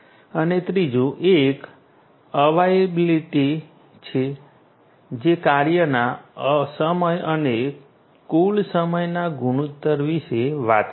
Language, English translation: Gujarati, And the third one is availability, which talks about the ratio of the time of functioning to the total time